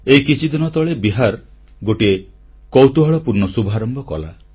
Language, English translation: Odia, Just a while ago, Bihar launched an interesting initiative